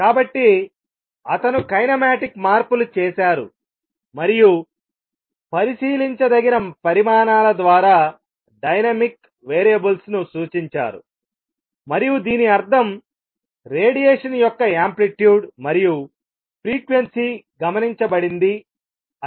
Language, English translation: Telugu, So, he has now shown that make kinematic changes and representing dynamical variables by observable quantities and that means, the amplitude and frequency of radiation observed